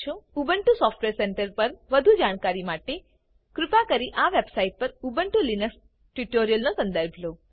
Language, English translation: Gujarati, For more information on Ubuntu Software Centre, please refer to the Ubuntu Linux Tutorials on this website